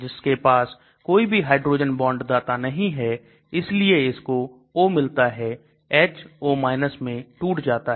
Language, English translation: Hindi, It does not have any hydrogen bond donors, because it gets the O H gets dissociated as O